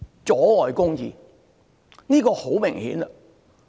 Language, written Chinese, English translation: Cantonese, 阻礙公義，這是很明顯的。, It is perversion of justice which is obvious